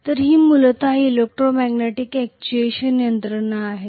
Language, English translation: Marathi, So this is essentially an electromagnetic actuation mechanism